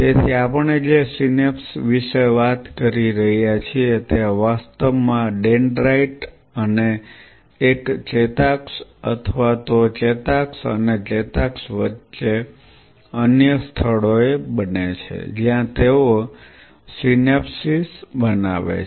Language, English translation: Gujarati, So, what we are talking about the synapses actually form between or dendrite and an axon or even an axon and axons in other locations which they form synapses